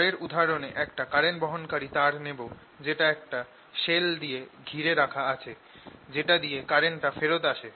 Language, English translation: Bengali, next example: i will take a current carrying wire enclosed in a shell through which the current comes back